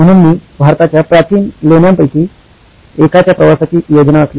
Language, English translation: Marathi, So, I planned a trip to one of India’s ancient caves